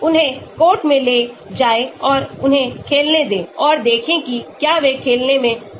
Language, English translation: Hindi, take them to the court and make them play and see whether they are able to play